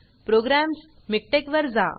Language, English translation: Marathi, Lets go to programs, MikTeX